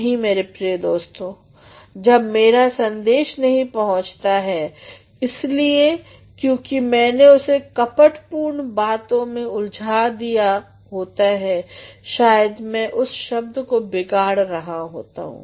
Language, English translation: Hindi, No, my dear friends, when my message does not get across because I have clothed it in a very circumlocution word I am perhaps spoiling that word